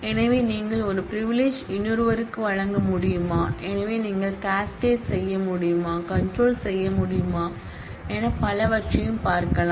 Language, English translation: Tamil, So, whether you can give one privilege to another, so whether you can cascade, whether you can restrict and so on